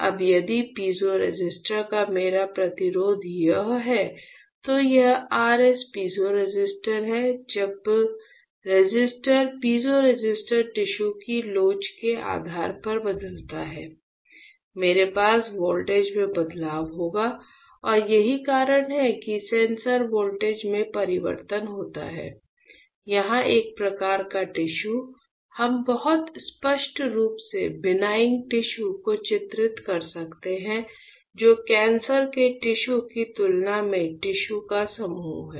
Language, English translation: Hindi, Now, if my resistance of the piezoresistor this is R S is piezoresistor when the resistor piezoresistor changes depending on the elasticity of the tissue; I will have a change in voltage and that is why you can see here the sensor voltage changes for that a type of tissue here we can very clearly delineate the benign tissues which are this group of tissues compared to the cancerous tissues which are this group of tissues